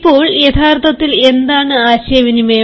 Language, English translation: Malayalam, now, what actually is communication